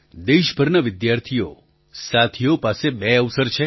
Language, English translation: Gujarati, Student friends across the country have two opportunities